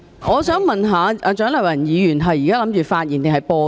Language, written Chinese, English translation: Cantonese, 我想問蔣麗芸議員現在是打算發言還是播放錄音？, May I ask whether Dr CHIANG Lai - wan intends to speak or play an audio recording?